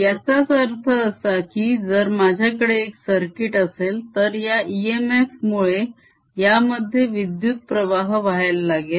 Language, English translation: Marathi, alright, what it means is that if i have a circuit, then because of this e m f, the current will start flowing in